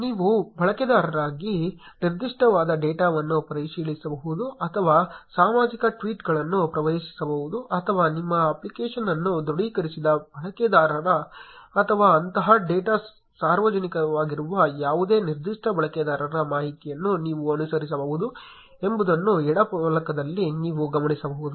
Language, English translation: Kannada, You can notice on the left panel that you can access data specific to a user, or public tweets or you can even get the follower and following information of users who have authenticated your app or of any particular user whose such data is public